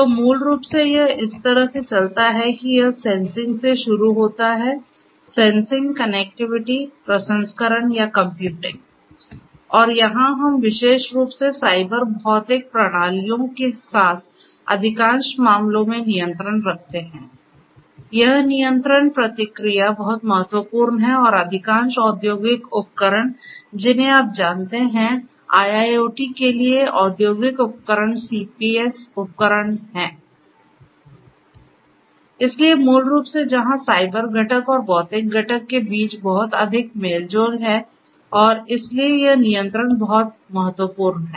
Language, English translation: Hindi, So, basically it goes on like this that it starts with sensing; sensing, connectivity, processing or computing and here we have the control in most of the cases particularly with Cyber Physical Systems this control feedback is very important and most of the industrial you know industrial equipments for IIoT are CPS equipments, so, basically where there is a lot of interaction between the cyber component and the physical component and so, this control is very important